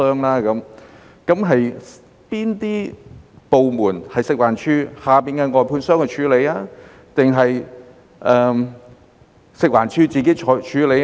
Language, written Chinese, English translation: Cantonese, 哪些是食環署轄下的外判商處理，或是食環署自己處理呢？, What kind of waste was handled by the outsourced contractors under FEHD or was it handled by FEHD itself?